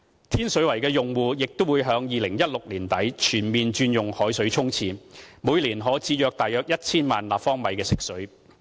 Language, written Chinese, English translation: Cantonese, 天水圍的用戶亦已在2016年年底全面轉用海水沖廁，每年可節省約 1,000 萬立方米食水。, All our customers in Tin Shui Wai had changed to using seawater for toilet flushing by the end of 2016 thus saving about 10 million cu m of fresh water each year